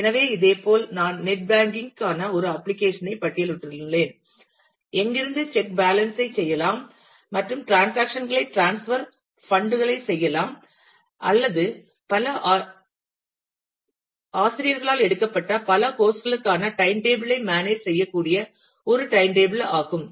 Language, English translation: Tamil, So, similarly I have listed an application for net banking which can where, we can check balance and do transactions transfer funds, or a timetable where you can manage time table for multiple courses taken by multiple teachers and so on